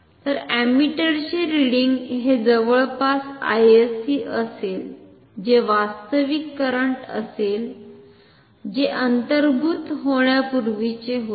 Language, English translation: Marathi, So, ammeter reading will be close to I sc that is the actual current that was flowing before the insertion of the meter when